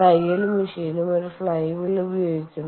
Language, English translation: Malayalam, the sewing machine also uses a flywheel